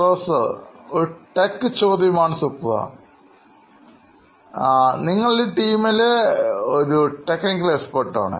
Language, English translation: Malayalam, Okay, here is the tech question to you Supra, he is a tech guy I know in this team